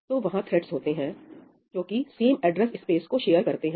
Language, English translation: Hindi, So, there are threads which share the same address space